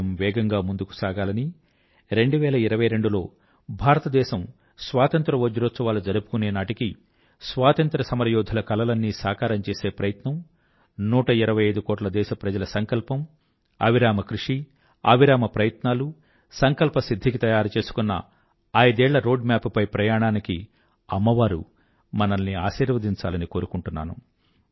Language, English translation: Telugu, May the nation move forward and may the year two thousand twenty two 75 years of India's Independence be an attempt to realize the dreams of our freedom fighters, the resolve of 125 crore countrymen, with their tremendous hard work, courage and determination to fulfill our resolve and prepare a roadmap for five years